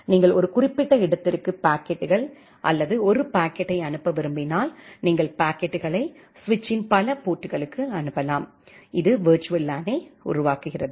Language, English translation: Tamil, If you want to send a set of packets or a packet to a specific destination, you can forward the packets into multiple ports of the switch, which constructs virtual LAN